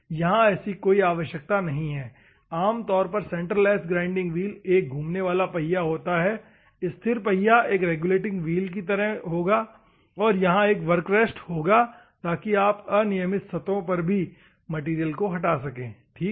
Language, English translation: Hindi, Here, there is no requirement, centreless grinding wheel normally they have a stationary wheel, the moving wheel, the stationary wheel will be like a regulating wheel, and work rest will be there, and you can remove them or you can, so that you can remove the material on an irregular surfaces, ok